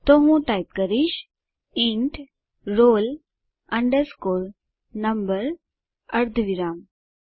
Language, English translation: Gujarati, So, I will type int roll underscore number semicolon